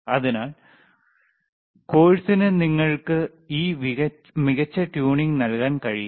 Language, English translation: Malayalam, So, course cannot give you this fine tuning